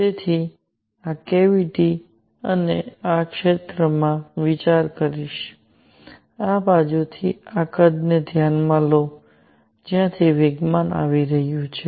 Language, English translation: Gujarati, I will consider this cavity and in this area; consider this volume from this side from where the momentum is coming in